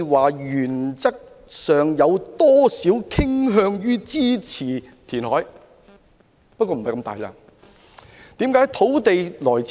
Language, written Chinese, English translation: Cantonese, 我原則上傾向支持填海，不過並非如此大的面積。, In principle I am inclined to support reclamation but not for such a big area